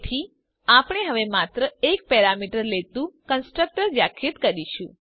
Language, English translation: Gujarati, We can therefore now define a constructor which takes only one parameter